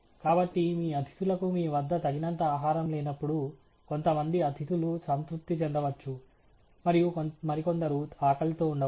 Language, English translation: Telugu, So, when you do not have enough food for your guests, then some guests may go satisfied and some others may go hungry